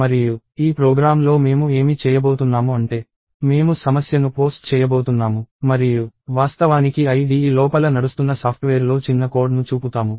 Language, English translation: Telugu, And in this program what I am going to do is I am going to post the problem and actually show piece of code running inside the software, running inside the IDE